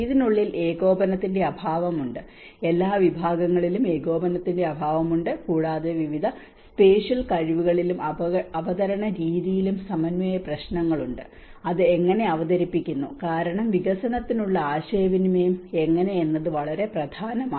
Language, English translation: Malayalam, Within the discipline, there is the lack of coordination and with across the disciplines is also lack of the coordination and there also coordination issues across different spatial skills and also the manner of presentation, how it is presented because how a communication for development is very important